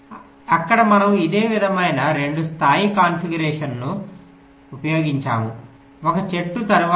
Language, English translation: Telugu, so there we used a similar kind of a two level configuration: a tree followed by a grid, so the global mesh